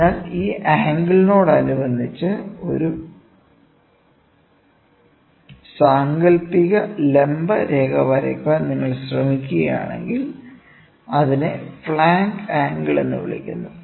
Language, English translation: Malayalam, So, if you try to draw an imaginary perpendicular with respect to this angle, it is called as flank angle